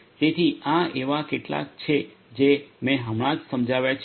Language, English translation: Gujarati, So, these are some of the ones that I have just explained